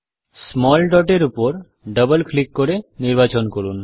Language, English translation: Bengali, Let us choose the small dot by double clicking on it